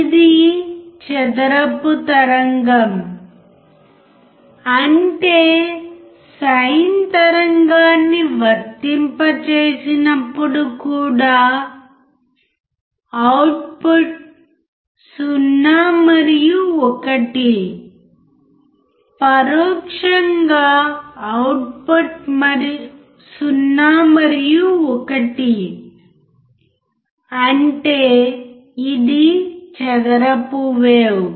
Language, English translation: Telugu, It is the square wave; that means, that even we apply sin wave the output is what 0 and 1 in indirectly we can say output is nothing, but 0 and 1 that is a square wave right